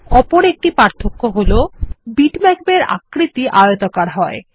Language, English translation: Bengali, You may have noticed one other difference bitmaps are rectangular in shape